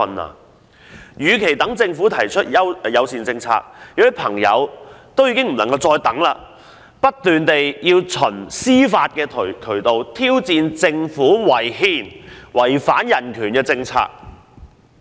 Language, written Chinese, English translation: Cantonese, 他們認為，與其等政府提出同志友善政策——有人已不能再等——他們倒不如不斷循司法渠道挑戰政府違憲及違反人權的政策。, They all think that rather than waiting any further for the Governments formulation of homosexual - friendly policies―many of them have already grown tired of waiting―they should turn to judicial means and make sustained efforts to challenge the Governments policies that breach both the constitution and human rights